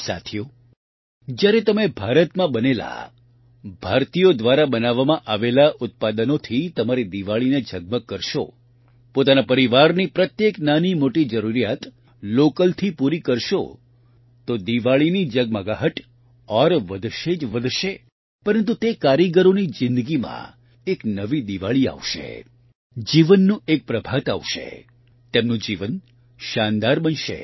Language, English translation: Gujarati, Friends, when you brighten up your Diwali with products Made In India, Made by Indians; fulfill every little need of your family locally, the sparkle of Diwali will only increase, but in the lives of those artisans, a new Diwali will shine, a dawn of life will rise, their life will become wonderful